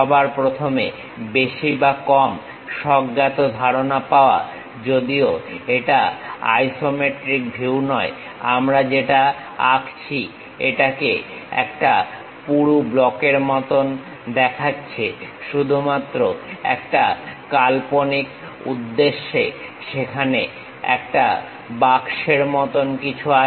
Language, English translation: Bengali, First of all, get more or less the intuitive idea, looks like a thick block though its not isometric view what we are drawing, but just for imaginative purpose there is something like a box is there